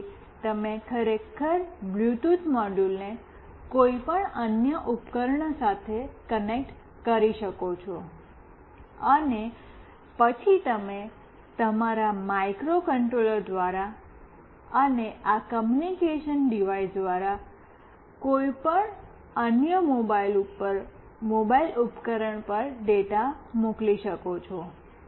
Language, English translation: Gujarati, This is how you can actually connect a Bluetooth module with any other device, and then you can send the data through your microcontroller and through this communicating device to any other mobile device